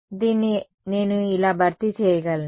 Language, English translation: Telugu, So, this I can replace like this